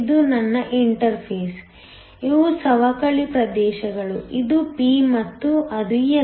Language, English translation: Kannada, This is my interface, these are the depletion regions, this is p and that is n